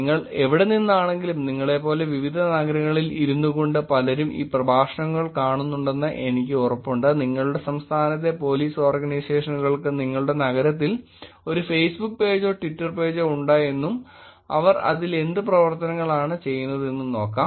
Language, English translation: Malayalam, Wherever you are from meaning I am sure the cities like you are sitting in and looking at these lectures you could probably look at whether the Police Organizations in your state, in your city has a Facebook page or a Twitter page and see what kind of activities that they are doing